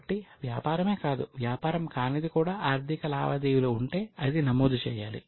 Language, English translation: Telugu, So, business or non business, but any transaction which has a financial implication needs to be recorded